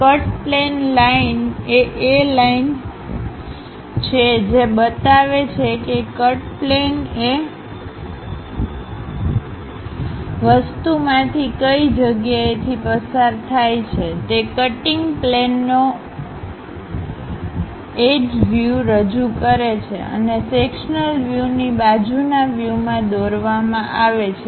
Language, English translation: Gujarati, A cut plane line is the one which show where the cut plane pass through the object; it represents the edge view of the cutting plane and are drawn in the view adjacent to the sectional view